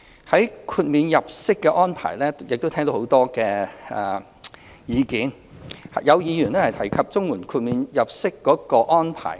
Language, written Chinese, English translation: Cantonese, 在豁免入息安排方面，我們亦聽到很多議員提及綜援豁免計算入息的安排。, In respect of the arrangement for disregarded earnings we have heard a lot of Members mention the arrangement for disregarded earnings